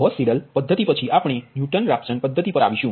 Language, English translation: Gujarati, after gauss seidel method we will come to the newton raphson method